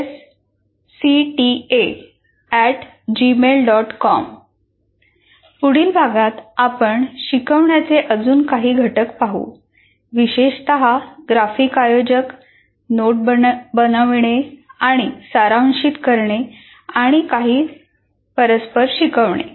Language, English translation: Marathi, And in the next unit, we'll continue with some more instructional components, especially graphic organizers, note making, andizing and some reciprocal teaching